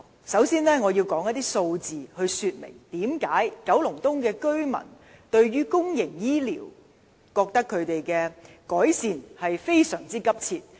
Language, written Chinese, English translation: Cantonese, 首先，我要提出一些數字，說明為何九龍東居民認為區內公營醫療服務的改善實在非常急切。, It think it is a most accurate description . First of all I have to present some figures to explain why residents of Kowloon East consider improvement of public healthcare services in the district indeed very urgent